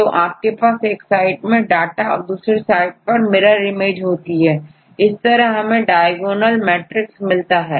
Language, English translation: Hindi, So, you have one side we get the data this is second data is this mirror image of the other right that is we get the diagonal matrix